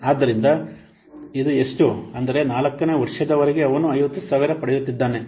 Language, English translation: Kannada, That means, up to 4th year he is getting 50,000